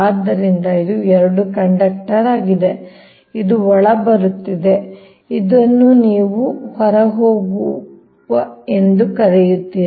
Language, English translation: Kannada, so this is two conductor, this is incoming, this is your, what you call outgoing